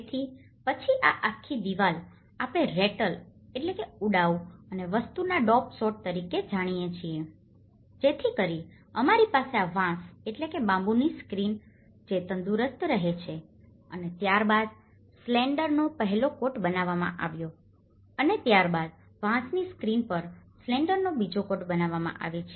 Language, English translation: Gujarati, So, then this whole wall like we know the rattle and daub sort of thing, so we have this bamboo screen, which has been weaven and then the first coat of slender has made and then the second coat of slender is made later on the bamboo screen